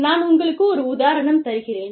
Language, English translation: Tamil, I will give you an example